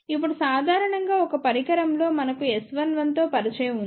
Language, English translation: Telugu, Now generally for a device we are familiar with S 1 1